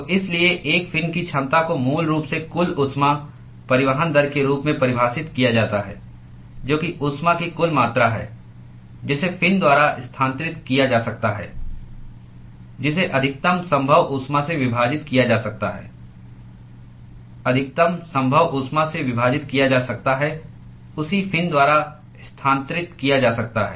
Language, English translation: Hindi, So, therefore, the efficiency of a fin is basically defined as the total heat transport rate, that is the total amount of heat that is transferred by the fin divided by the maximum possible heat that can be transferred divided by the maximum possible heat that can be transferred by the same fin